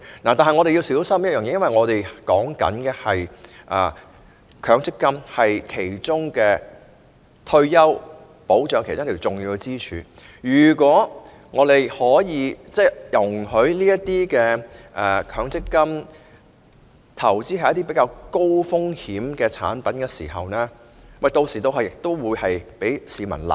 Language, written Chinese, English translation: Cantonese, 然而，我們要小心，因為強積金是退休保障其中一根重要支柱，假使容許強積金投資於一些較高風險的產品，一旦招致虧蝕，同樣會被市民責罵。, However we have to be cautious . Given that MPF is one of the important pillars of retirement protection if MPF is allowed to invest in relatively high - risk products losses incurred will also draw public criticisms